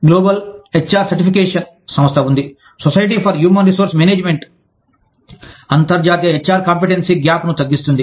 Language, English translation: Telugu, There is a global HR certification organization, the society for human resource management, narrowing international HR competency gap